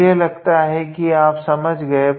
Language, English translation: Hindi, I hope you would understand